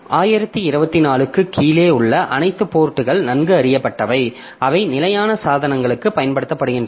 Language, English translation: Tamil, So, all ports below 2024 are well known and they are used for standard devices